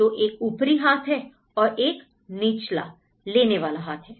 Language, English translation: Hindi, So, one is on upper hand and one is on the taking hand